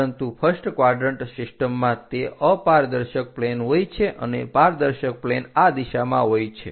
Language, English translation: Gujarati, but in first quadrant system that is a opaque plane and the transparent plane is in this direction